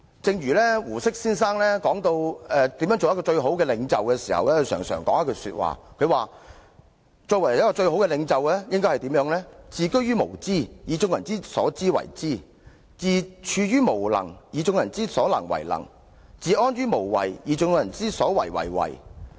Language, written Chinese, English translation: Cantonese, 正如胡適先生談到如何成為最好的領袖時，便曾指出最高領袖的任務是"自居於無知，而以眾人之所知為知；自處於無能，而以眾人之所能為能；自安於無為，而以眾人之所為為為。, When Mr HU Shih talked about how to become an ideal leader he said The task of the top leader is to admit ignorance taking everyones knowledge for his; acknowledge inability regarding everyones ability as his; do nothing taking everyones initiatives for his